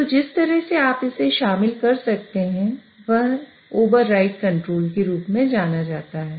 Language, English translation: Hindi, So the way you can incorporate that is by using what is known as a override control